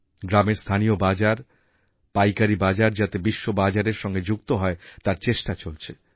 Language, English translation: Bengali, Efforts are on to connect local village mandis to wholesale market and then on with the global market